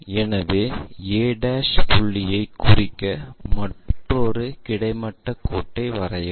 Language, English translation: Tamil, So, draw another horizontal line to locate a' point